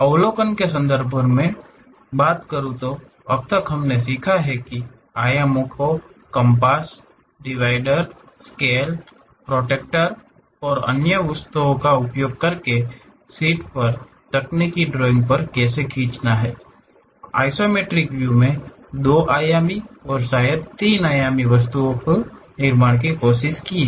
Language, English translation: Hindi, In terms of overview; so, till now we have learnt how to draw technical drawing on sheets using dimensions, compass, dividers, scales, protractor and other objects we have used; try to construct two dimensional and perhaps three dimensional objects in isometric views